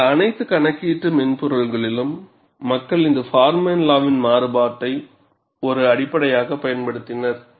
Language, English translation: Tamil, In all those computational softwares, people have used variation of this Forman law, as the basis